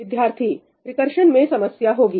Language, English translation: Hindi, There will be a problem with recursion